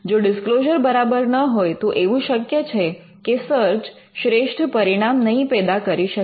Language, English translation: Gujarati, If the disclosure is not up to the mark, there are chances that the search will not yield the best results